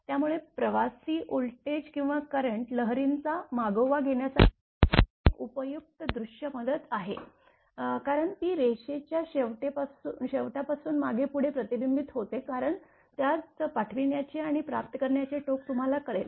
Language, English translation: Marathi, So, it is a useful visual aid to keep track of traveling voltage or current wave as it reflects back and forth from the end of the line because it will be you know sending and receiving end in it will be reflected back and forth